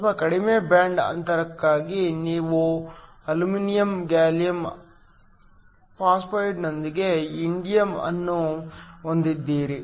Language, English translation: Kannada, For a slightly lower band gap, you have indium based with aluminum gallium phosphide